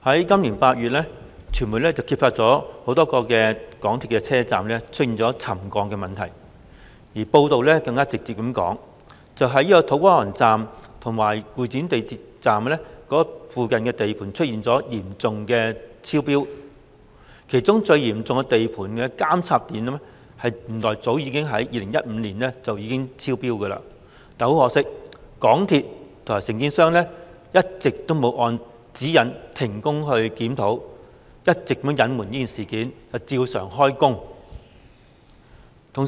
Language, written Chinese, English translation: Cantonese, 今年8月，傳媒揭發多個港鐵車站出現沉降問題，報道指土瓜灣站及會展站附近的地盤出現嚴重超標，其中超標情況最嚴重的監測點原來早在2015年已經超標，但很可惜，香港鐵路有限公司和承建商未有按指引停工檢討，一直隱瞞事件，照常進行工程。, It was reported that the sites near To Kwa Wan Station and Exhibition Centre Station had seen serious exceedances . Among them it turned out that the monitoring point with the most serious exceedance had already exceeded the trigger level early in 2015 . Yet regrettably the MTR Corporation Limited MTRCL and the contractor did not suspend the works and conduct a review in accordance with the guidelines